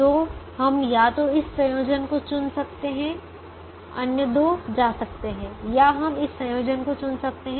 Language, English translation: Hindi, so we could either pick this combination, the other two would go, or we could pick this combination